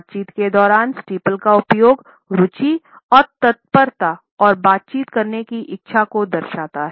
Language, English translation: Hindi, The use of steeple during conversation indicates interest as well as a readiness and a willingness to interact